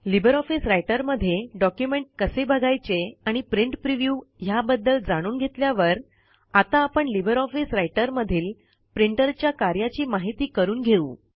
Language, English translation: Marathi, After learning how to view documents in LibreOffice Writer as well as Page Preview, we will now learn how a Printer functions in LibreOffice Writer